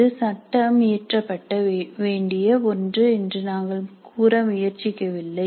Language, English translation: Tamil, We are not trying to say that this is something which is to be legislated